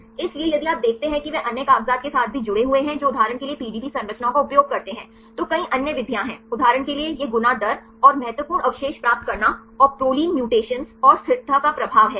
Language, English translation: Hindi, So, then if you see they also linked with the other papers which used the PDB structures for example, there are several other methods right so, for example this fold rate, and getting critical residues and the effect of proline mutations and stability right